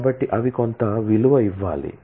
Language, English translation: Telugu, So, they will must be some value given